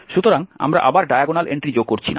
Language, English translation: Bengali, So we are not adding again the diagonal entry